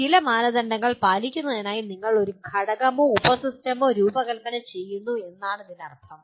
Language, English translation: Malayalam, That means you design a component or a subsystem to meet certain standards